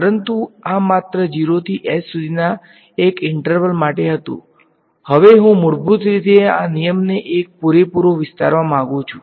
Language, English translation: Gujarati, But, this was for one interval only from 0 to h; now I want to basically just extend this rule over an entire interval ok